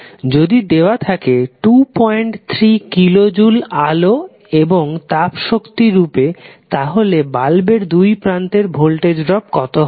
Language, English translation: Bengali, 3 kilo joule is given in the form of light and heat energy what is the voltage drop across the bulb